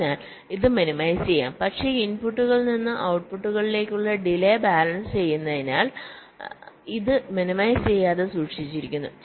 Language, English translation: Malayalam, so this can be minimized, but this has been kept non means non minimized because of balancing the delays from inputs to outputs